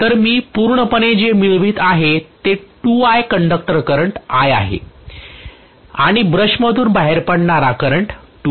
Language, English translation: Marathi, So totally what I am getting is 2I conductor current is I and the current that is coming out of the brushes is 2I